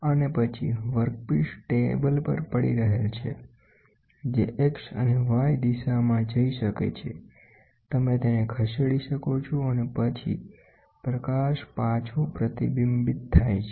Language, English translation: Gujarati, And then the workpiece is resting on a table, which can go in X and Y direction you can move it and then the light gets reflected back